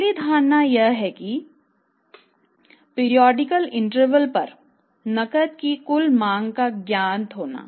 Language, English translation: Hindi, Total demand for the cash at the periodical intervals is known